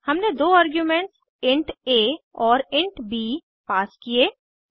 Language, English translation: Hindi, We have passed two arguments int a and int b